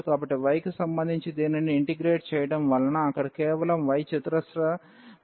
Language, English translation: Telugu, So, integrating this one with respect to y we will have just the y squared term there